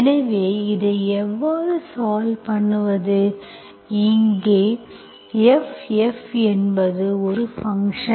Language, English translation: Tamil, So how do we solve this, where F is, F is a function, certain function